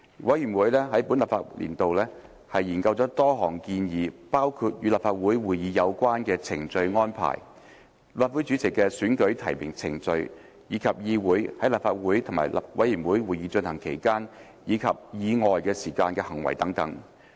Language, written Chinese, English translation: Cantonese, 委員會在本立法年度內研究了多項議題，包括與立法會會議有關的程序安排、立法會主席的選舉提名程序，以及議員在立法會和委員會會議進行期間及以外時間的行為等。, I will highlight several items of work of the Committee . During this legislative session the Committee studied a number of issues including the procedural arrangements relating to meetings of the Council the nomination process for the election of the President of the Legislative Council as well as Members conduct during and outside meetings of the Council and committees